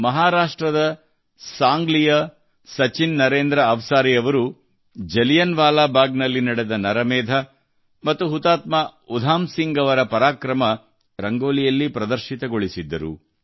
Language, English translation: Kannada, Sachin Narendra Avsari ji of Sangli Maharashtra, in his Rangoli, has depicted Jallianwala Bagh, the massacre and the bravery of Shaheed Udham Singh